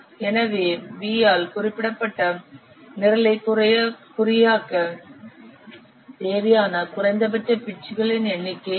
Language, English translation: Tamil, So what is the minimum number of bits required to encode the program that is specified by V